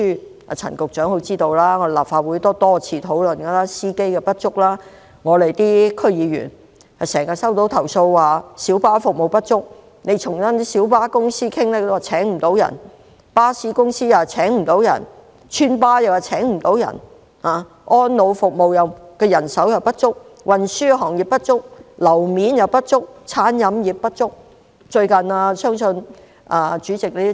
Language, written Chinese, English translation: Cantonese, 例如運輸，陳局長都知道，立法會多次討論司機不足的問題，區議員也經常接獲小巴服務不足的投訴，我們跟小巴公司商討，他們表示請不到足夠司機，巴士公司和村巴公司也同樣表示請不到足夠司機。, For example in respect of transport Secretary Frank CHAN also knows that the Legislative Council has repeatedly discussed the problem of shortage of drivers . District Council members have received numerous complaints about inadequate minibus service . When we discussed with the minibus companies they told us they had difficulties hiring sufficient minibus drivers